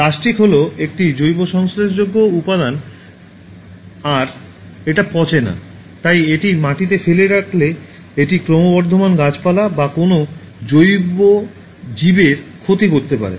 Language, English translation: Bengali, So, plastic is a non biodegradable material and since it does not decompose, leaving it on soil it can harm growing plants or any biological organism